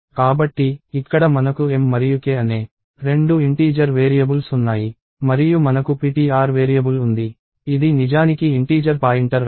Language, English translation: Telugu, So, here we have two integer variables m and k and we have a variable ptr, which is actually of the type, integer pointer